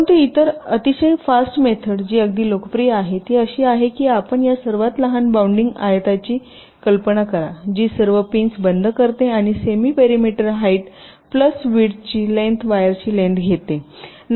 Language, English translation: Marathi, but the other very fast method which is quite popular, is that you imagine this smallest bounding rectangle that encloses all the pins and take the semi parameter height plus width